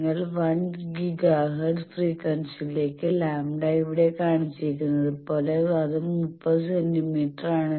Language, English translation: Malayalam, As shown here that lambda for your 1 giga hertz frequency, so it is 30 centimeter